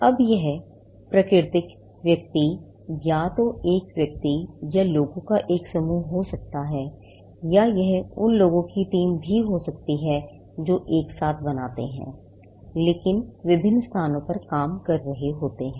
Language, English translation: Hindi, Now, this can be natural person, either an individual or a group of people, or it could also be a team of people who together come and create, but, working in different locations